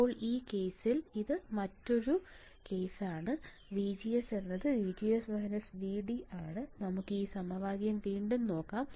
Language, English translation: Malayalam, So, in this case VGD this equation is again equation number one right this one use this equation